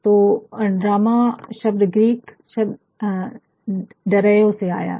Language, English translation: Hindi, So, the drama word comes from the Greek word 'drao'